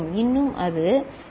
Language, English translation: Tamil, Still it is T is 0